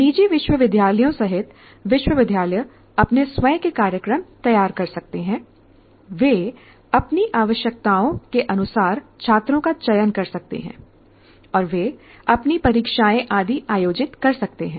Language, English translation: Hindi, They can design their own programs, they can select students as per their requirements and they can conduct their own examinations and so on